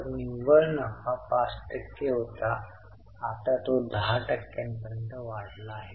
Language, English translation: Marathi, So, net profit was 5% went up to 10% is now 8